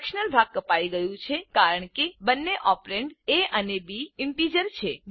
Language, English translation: Gujarati, The fractional part has been truncated as both the operands a and b are integers